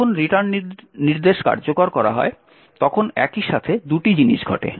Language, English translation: Bengali, Now when the return instruction is executed there are two things that simultaneously occur